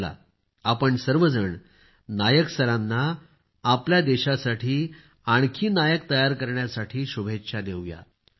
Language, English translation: Marathi, Come, let us all wish Nayak Sir greater success for preparing more heroes for our country